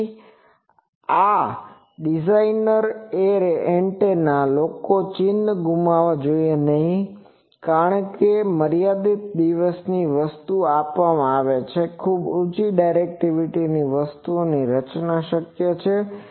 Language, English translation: Gujarati, So, array designer antenna people should not lose sight of that it can be possible to design the very high directivity things given a limited day thing